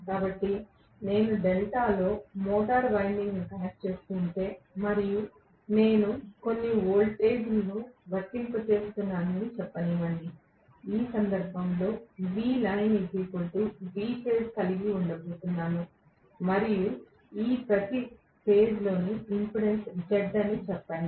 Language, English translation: Telugu, So, if I am connecting the motor winding in delta and let us say I am applying certain voltage, I am going to have in this case V line equal to V phase right and let us say the impedance of each of this phase is Z right